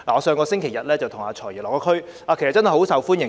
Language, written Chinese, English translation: Cantonese, 上星期日，我與"財爺"落區，"財爺"甚受歡迎。, Last Sunday when the Financial Secretary and I visited the district the Financial Secretary was quite popular